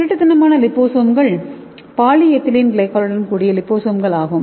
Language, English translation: Tamil, The stealth liposome is like this liposomes with poly ethylene glycol